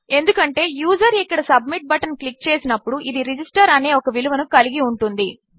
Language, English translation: Telugu, This is because when the user clicks the submit button here, this will hold a value of Register